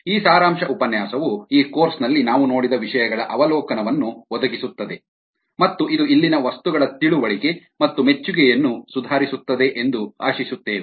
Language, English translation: Kannada, this summery lecture would ah provide an overview of ah the things that ah we looked at in this course and hopefully it will improve the ah understanding and appreciation of the material here